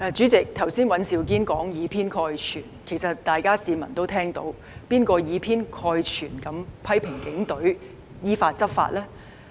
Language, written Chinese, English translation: Cantonese, 主席，剛才尹兆堅議員說有議員以偏概全，其實市民也知道是誰以偏概全地批評警隊依法執法呢？, President just now Mr Andrew WAN said some Members made one - sided generalizations . In fact people also know who has made generalized criticisms of the law - enforcement actions taken by the Police in accordance with the law